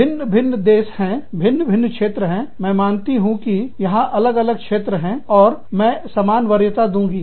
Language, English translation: Hindi, Different countries, different regions, i accept, that there are different regions, and i will give, equal weightage